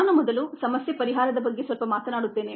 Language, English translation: Kannada, let me first talk a little bit about problem solving